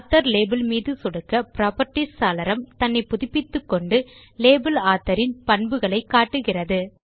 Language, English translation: Tamil, Now let us click on the label author, notice that the Properties window refreshes and shows the properties of label Author